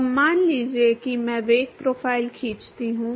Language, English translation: Hindi, Now, suppose if I draw the velocity profile